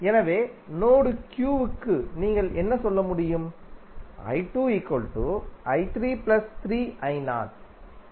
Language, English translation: Tamil, So, here what you can say for node Q